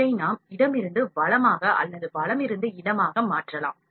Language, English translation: Tamil, This we can change from left to right or right to left